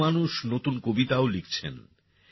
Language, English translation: Bengali, Many people are also writing new poems